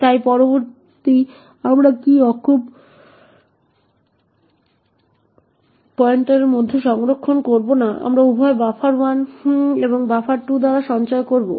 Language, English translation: Bengali, So next what we do is we store in the character pointer out we store both buffer 1 followed by buffer 2